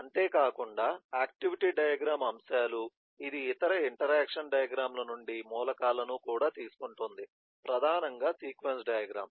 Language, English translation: Telugu, eh, besides that em activity diagram elements, it also takes an element from eh other interaction diagrams, primarily the sequence diagram